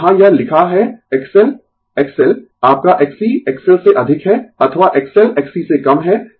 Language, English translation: Hindi, So, here it is written X L X L your X C greater than X L or X L less than X C